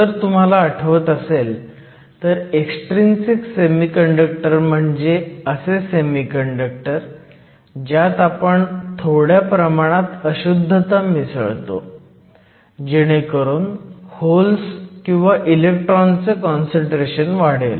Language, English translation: Marathi, And, if you remember extrinsic semiconductors are those where we add a small amount of a specific impurity in order to selectively increase the concentration of either electrons or holes